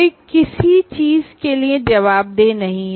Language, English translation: Hindi, One is not answerable to anything